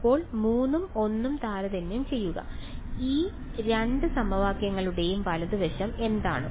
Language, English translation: Malayalam, So, look at compare 3 and 1 what is the right hand side of these two equations